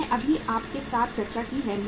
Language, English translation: Hindi, I just discussed with you